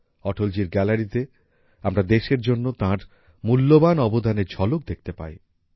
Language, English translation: Bengali, In Atal ji's gallery, we can have a glimpse of his valuable contribution to the country